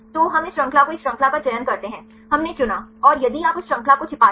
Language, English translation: Hindi, So, we select one chain this chain we selected and if you hide that chain